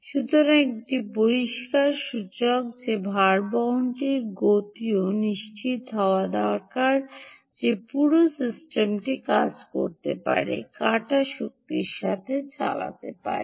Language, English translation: Bengali, so a clear indicator that speed of the bearing also is a important requirement to ensure that the whole system can work, can run with harvested energy